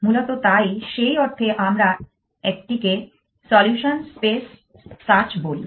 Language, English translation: Bengali, Essentially, so in that sense we call is a solution space search